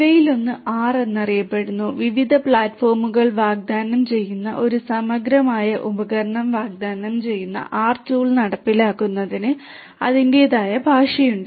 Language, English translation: Malayalam, One of these is popularly known as the R, the R tool which offers it is a comprehensive tool offering different platforms you know has its own language for implementation and so on